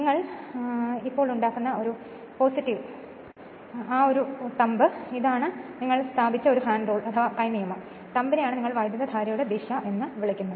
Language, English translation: Malayalam, The plus one you just make this your thumb is right hand rule you put and you are the thumb is your what you call the direction of the current